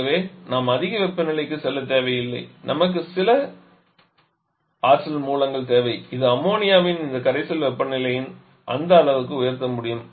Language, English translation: Tamil, So, we do not need to go to very high temperature we need some source of energy which is able to raise the temperature of this aqua solution of ammonia to that levels